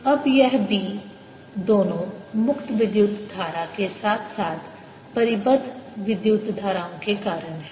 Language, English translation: Hindi, now, this b, due to both the free current as well as the bound currents